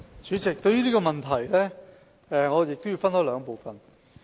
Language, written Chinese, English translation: Cantonese, 主席，對於這個問題，我亦要分開兩部分作答。, President my answer to this question contains two parts